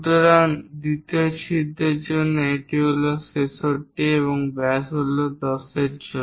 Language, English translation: Bengali, So, that is 65 for the second hole and the diameter is 10 for that